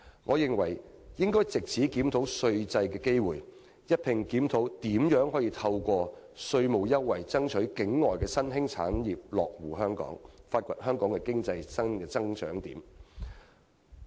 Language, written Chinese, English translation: Cantonese, 我認為應藉此檢討稅制的機會，一併探討如何透過稅務優惠爭取境外的新興產業落戶香港，以發掘香港新的經濟增長點。, Taking the opportunity of the tax review the Government should also explore ways to attract foreign emerging industries to come to Hong Kong through tax incentives so as to identify new economic drivers for Hong Kong